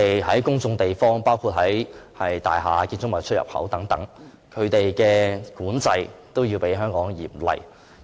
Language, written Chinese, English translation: Cantonese, 在公眾地方，包括大廈、建築物出入口等，外地對吸煙的管制也較香港嚴厲。, Tobacco control in public places such as buildings and their access points is also more stringent outside Hong Kong than the case in Hong Kong